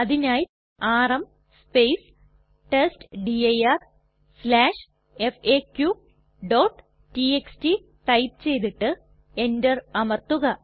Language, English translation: Malayalam, For this we type $ rm testdir/faq.txt and press enter